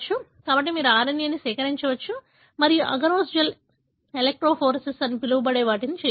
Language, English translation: Telugu, So, you can extract RNA and do what is called as agarose gel electrophoresis